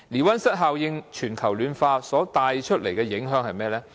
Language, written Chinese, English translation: Cantonese, 溫室效應令全球暖化所帶來的影響是甚麼？, What will be the effects of global warming resulting from greenhouse effect?